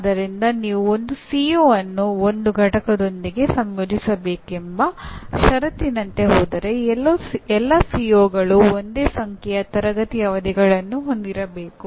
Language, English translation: Kannada, So if you go by the by requirement that one CO is to be associated with one unit then all COs are required to have the same number of classroom sessions